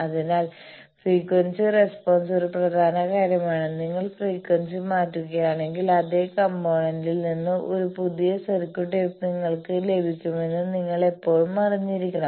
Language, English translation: Malayalam, So, frequency response is an important thing and always you should be aware that if you change the frequency a new whole new circuit from the same components you can get